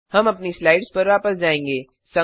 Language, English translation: Hindi, We will move back to our slides